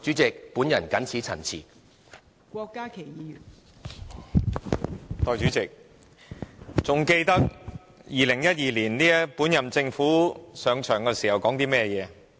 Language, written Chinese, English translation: Cantonese, 代理主席，大家還記得2012年本屆政府上場時說過甚麼？, Deputy President can Members still remember what the incumbent Government said in 2012 when it assumed office?